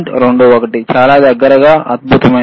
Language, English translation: Telugu, 21 very close excellent